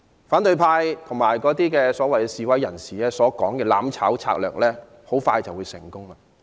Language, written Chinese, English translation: Cantonese, 反對派和所謂示威人士所說的"攬炒"策略很快便會成功。, The strategy of mutual destruction advocated by the opposition camp and the self - proclaimed protesters will be successful very soon